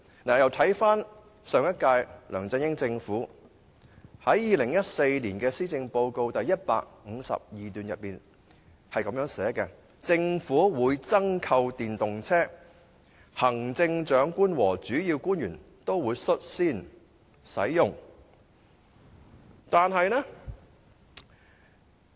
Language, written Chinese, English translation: Cantonese, 至於上屆的梁振英政府，亦曾在2014年施政報告第152段表示，政府會增購電動車，行政長官和主要官員會率先試用。, With regard to LEUNG Chun - yings Government of the last term it has also indicated in paragraph 152 of the 2014 Policy Address that the Government would purchase more electric vehicles and the Chief Executive and the Principal Officials would take the lead in using them on a trial basis